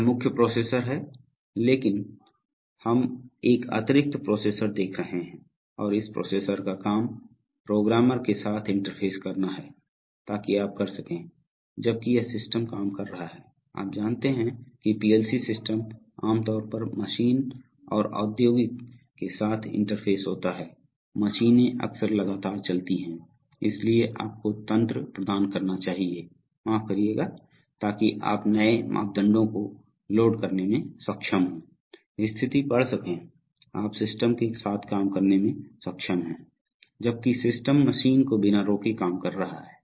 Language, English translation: Hindi, See this is the main processor but we are seeing an additional processor and the job of this processor is to interface with the programmer, so that you can, while this system is working, you know a PLC system is typically interface with the Machine and industrial machines often run continuously, so you must provide mechanisms, excuse me, so that you are able to load new parameters, read status, you are able to work with the system while the system is working with the machine without stopping it